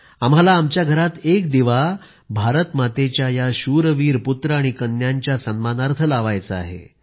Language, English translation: Marathi, We have to light a lamp at home in honour of these brave sons and daughters of Mother India